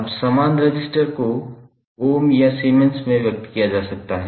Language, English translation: Hindi, Now, same resistance can be expressed in terms of Ohm or resistance and Ohm or Siemens